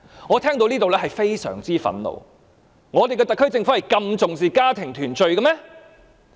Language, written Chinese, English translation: Cantonese, 我聽到這言論，感到非常憤怒，我們的特區政府是否真的重視家庭團聚？, I felt very angry upon hearing that remark . Does our SAR Government really attach importance to family reunion?